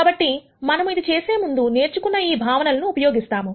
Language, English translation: Telugu, So, we are going to use concepts that we have learned before to do this